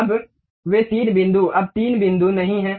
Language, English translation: Hindi, Now, those three points are not anymore three points